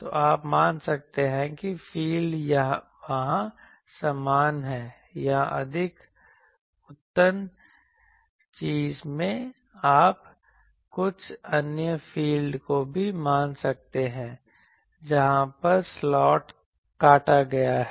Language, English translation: Hindi, So, you can assume that the field is uniform there or if you can in a more advanced thing you can assume some other field also based on where the slot is cut etc